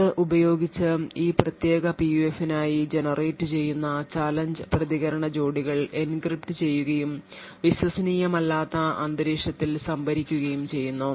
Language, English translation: Malayalam, Using this, the challenge and response pairs which is generated for this particular PUF present in the device is encrypted and stored in an un trusted environment